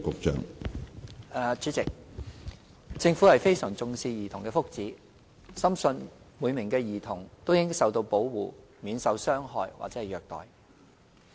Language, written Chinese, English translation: Cantonese, 主席，政府非常重視兒童的福祉，深信每名兒童都應受到保護，免受傷害或虐待。, President the Government attaches great importance to the well - being of children and firmly believes that every child has a right to protection against harm and abuse